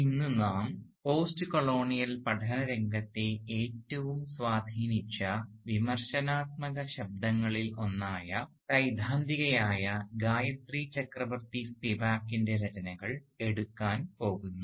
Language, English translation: Malayalam, Today we are going to take up the writings of Gayatri Chakravorty Spivak who is one of the most influential critical voices, theorists, in the field of postcolonial studies